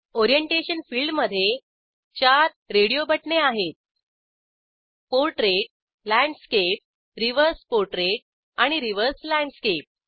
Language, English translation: Marathi, In the orientation field we have 4 radio buttons Portrait, Landscape, Reverse portrait, and Reverse landscape